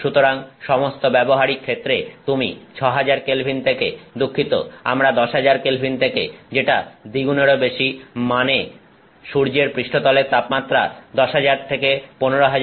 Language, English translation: Bengali, So, for all practical purposes you are going from 6,000K at the sorry we are going from 10,000K which is more than double the I mean temperature of the surface of the sun from 10,000 to 15,000K